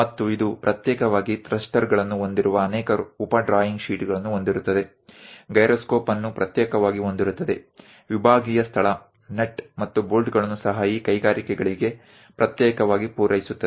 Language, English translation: Kannada, And this will have many sub drawing sheets having thrusters separately, having gyroscope separately, compartmental space separately, even nuts and bolts separately supplied to these industries